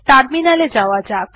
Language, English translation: Bengali, Lets go to terminal